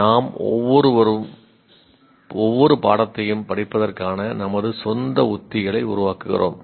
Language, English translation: Tamil, Each one of us develops our own strategies, study in each subject